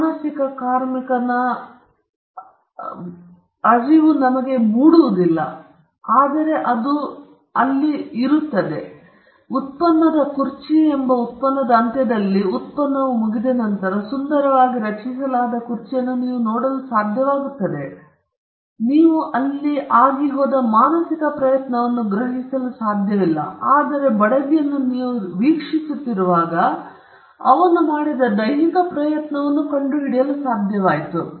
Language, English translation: Kannada, The mental labour is not discernible, though it is there, but at the end of the product, when the product gets done, you will be able to see a beautifully crafted chair, where you may not be able to discern the mental effort that went in, but while you were watching him, you were able to ascertain the physical effort that he has put